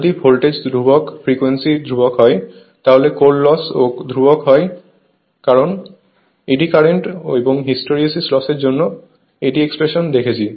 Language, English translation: Bengali, If voltage is constant frequency is constant so, core loss is more or less constant because we have seen eddy expression for eddy current and hysteresis loss